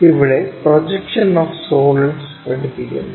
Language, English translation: Malayalam, We are covering Projection of Solids